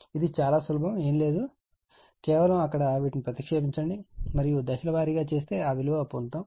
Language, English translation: Telugu, This is very simple nothing is there, just you just you put in there and step by step you will do you will get it right